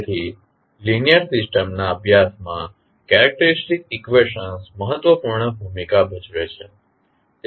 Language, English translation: Gujarati, So, the characteristic equations play an important role in the study of linear systems